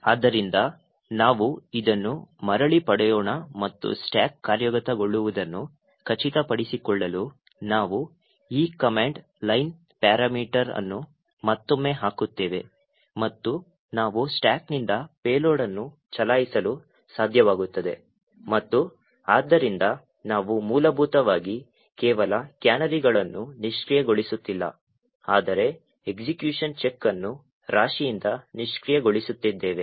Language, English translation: Kannada, So let us get this back and we will put this command line parameter again to ensure that the stack becomes executable and we are able to run a payload from the stack and therefore we are essentially disabling not just the canaries but also disabling the check for execution from the stack